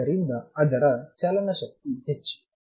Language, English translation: Kannada, So, its kinetic energy is higher